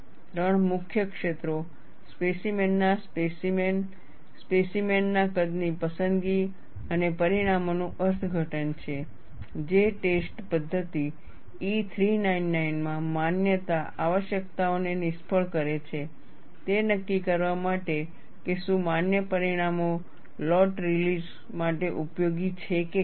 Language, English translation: Gujarati, The three main areas are specimen sampling, specimen size selection and interpretation of results that fail the validity requirements in test method E 399 in one of the following areas, in order to determine if the valid results are usable for lot release